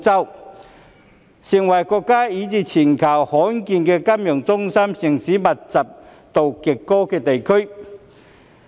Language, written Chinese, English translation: Cantonese, 大灣區成為國家以至全球罕見金融中心城市極高度密集的地區。, GBA has become a rare region in the country and even the globe where financial hub cities are clustered